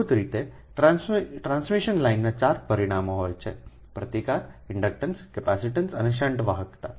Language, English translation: Gujarati, actually we have told three parameters for resistance, ah, inductance capacitance and shunt conductance